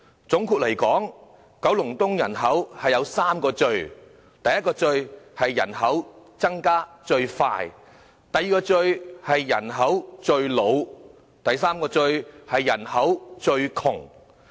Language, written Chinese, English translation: Cantonese, 總結而言，九龍東人口有3個"最"：第一個"最"，是人口增長最快；第二個"最"，是人口最老；第三個"最"，是人口最窮。, In a nutshell there are three mosts regarding the population of Kowloon East the first most is the most rapid population increase; the second most is the most aged population; and the third most is the poorest population